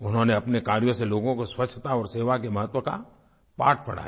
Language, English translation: Hindi, Through her work, she spread the message of the importance of cleanliness and service to mankind